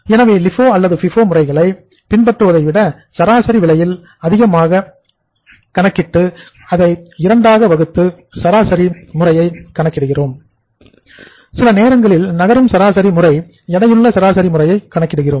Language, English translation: Tamil, So rather than following LIFO or FIFO they calculate the average of both the prices high as well as low and then we divide it by 2 and then we calculate the simple average